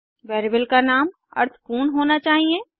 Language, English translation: Hindi, Variable names should be meaningful